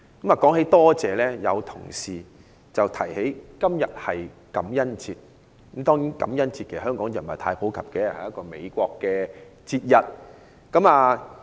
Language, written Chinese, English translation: Cantonese, 談到感謝，有同事提起今天是感恩節，感恩節在香港不是太普及，它是一個美國節日。, Speaking of gratitude some colleagues mentioned that today is Thanksgiving Day . Thanksgiving Day is not very popular in Hong Kong as it is a festival celebrated in the United States